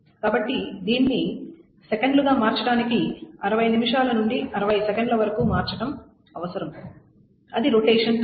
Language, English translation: Telugu, So to convert it into seconds need to be a conversion of 60 minutes, 60 seconds